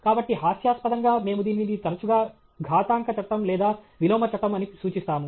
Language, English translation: Telugu, So, jocularly, often refer to it as the exponential law or the inverse law